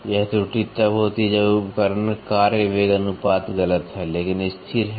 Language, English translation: Hindi, This error occurs when the tool work velocity ratio is incorrect, but constant